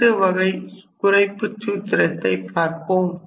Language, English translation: Tamil, So, this is one such reduction formula